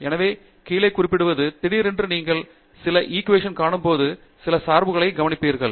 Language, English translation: Tamil, So, noting down let say, you suddenly while you are looking at some equations and you notice some dependence